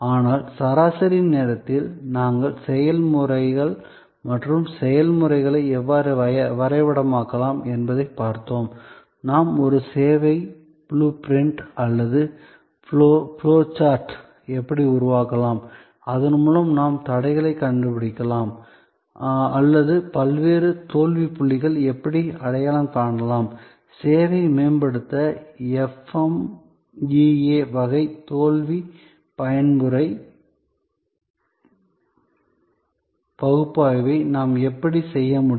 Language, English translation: Tamil, But, in the mean time we have also looked at processes and how processes can be mapped, how we can create a service blue print or flow chart through which we can then find out the bottlenecks or we can identify the various fail points and how we can do an FMEA type of failure mode type of analysis to improve upon the service